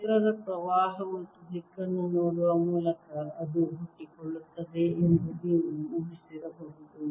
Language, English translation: Kannada, you could have anticipated that by looking at the current and direction of the field that is given rise to